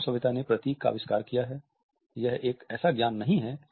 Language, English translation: Hindi, Human civilization has invented emblems